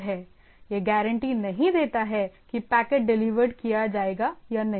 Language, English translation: Hindi, It does not guarantee that the packet will be delivered or not